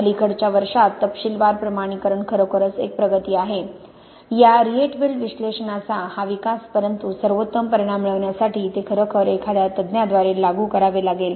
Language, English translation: Marathi, So the detailed quantification really, this has been a breakthrough in recent years, this development of this Rietveld analysis but it really has to be applied by an expert to get the best results